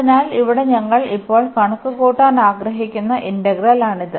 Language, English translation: Malayalam, So, here this is the integral we want to compute now